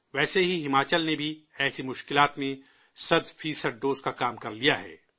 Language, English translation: Urdu, Similarly, Himachal too has completed the task of centpercent doses amid such difficulties